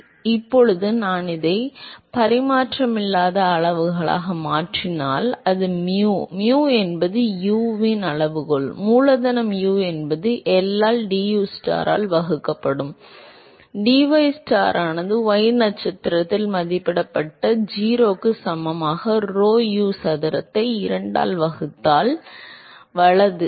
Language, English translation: Tamil, So, now, if I convert this into dimensionless quantities that is mu, mu the scaling for U is capital U divided by L into dustar by dystar evaluated at y star equal to 0 divided by rho U square by 2, right